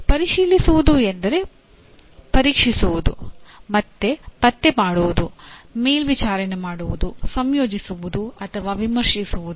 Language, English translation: Kannada, Checking means testing, detecting, monitoring, coordinating or critiquing